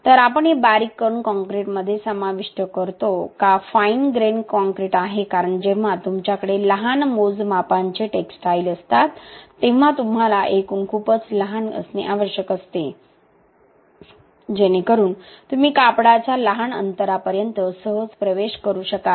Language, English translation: Marathi, So, we incorporate this in fine grain concrete, why fine grain concrete is because when you have textiles of small measures you need aggregates to be very small such that you could easily penetrate to the small gaps of the textiles